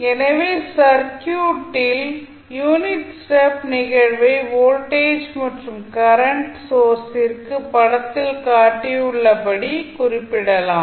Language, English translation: Tamil, So, that also says that in the circuit the unit stop response can be represented for voltage as well as current source as shown in the figure